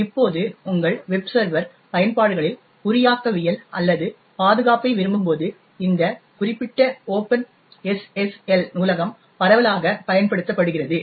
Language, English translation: Tamil, Now this particular open SSL library is widely used essentially when you want cryptography or security in your web server applications